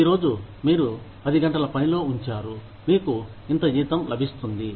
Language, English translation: Telugu, Today, you put in ten hours of work, you get, this much salary